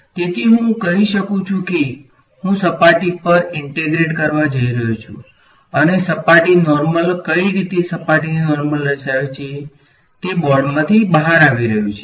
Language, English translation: Gujarati, So, I can say, I am going to integrate over the surface and what way is the surface normal pointing the surface normal is coming out of the board ok